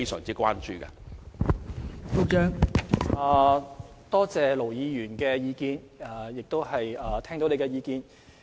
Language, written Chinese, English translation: Cantonese, 多謝盧議員的意見，而我亦聽到你的意見。, I thank Ir Dr LO for his views and I have taken note of them